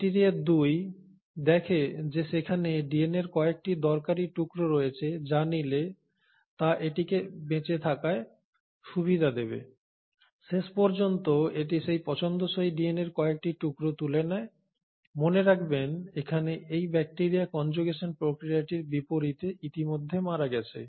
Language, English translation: Bengali, The bacteria 2 finds there are a few useful pieces of DNA which if it acquires will give it a survival advantage, it ends up picking a few of those favourable DNA fragments; mind you here, this bacteria has already died unlike in the process of conjugation